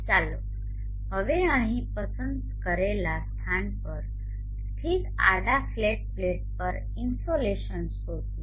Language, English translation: Gujarati, Let us now find the insulation on a horizontal flat plate located at the chosen locality here